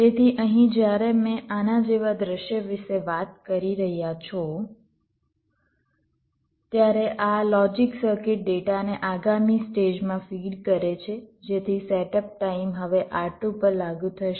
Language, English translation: Gujarati, so here, when you are talking about a scenario like this, this logic circuit is feeding data to in next stage, so that setup time will apply to r two